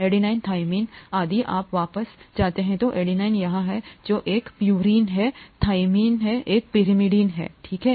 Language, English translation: Hindi, Adenine, thymine; if you go back, adenine is here which is a purine, thymine is here which is a pyrimidine, okay